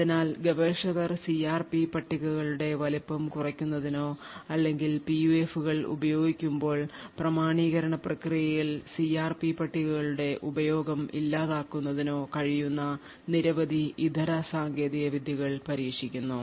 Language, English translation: Malayalam, So researchers have been trying several alternate techniques where they could either reduce the size of the CRP tables or alternatively try to eliminate the use of CRP tables in the authentication process when PUFs are used